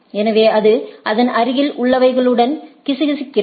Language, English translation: Tamil, So, some sort of a whispering with its neighbor right